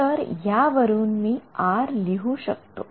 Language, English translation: Marathi, So, then R was zero